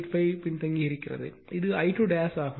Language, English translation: Tamil, 85 lagging that is a I 2 dash